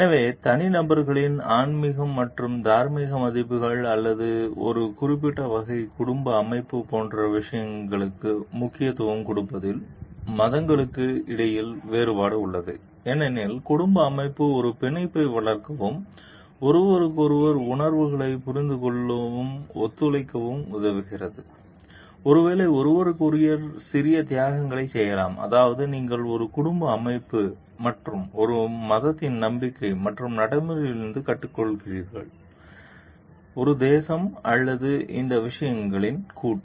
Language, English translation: Tamil, So, there are there is difference between religions in their emphasis that speak like that they place on such matters as spiritual and moral values of individuals or a particular kind of family structure because, the family structure helps you to develop a bond, collaborate with each other understand each other s feelings, maybe make small sacrifices for each other that is, what you learn from a family structure and the faith and practice of a religion, of a nation or a conglomeration of the or of all these things